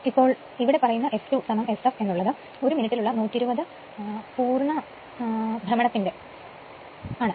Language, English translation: Malayalam, So, actually this f 2 is equal to S f is equal to this is given 120 complete cycles per minute